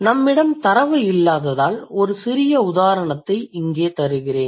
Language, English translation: Tamil, I will give you a small example here since we don't have the data, okay